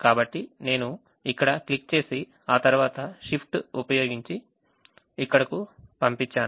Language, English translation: Telugu, so i just click here and then use shift and move it here